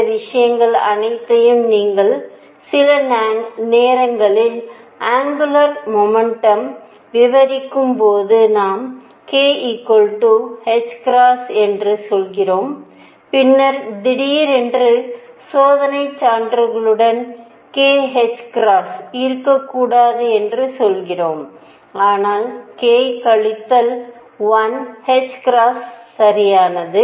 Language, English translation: Tamil, And all these things you can see that sometimes when we are describing angular momentum we are saying k equals h cross then suddenly we are saying with experimental evidence, there should be not k h cross, but k minus 1 h cross right